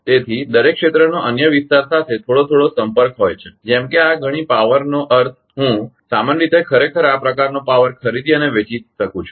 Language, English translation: Gujarati, So, every areas have some contact with other area such that this much power one can I mean in general actually buying and selling power something like this